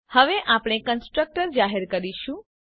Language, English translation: Gujarati, Now we will declare a constructor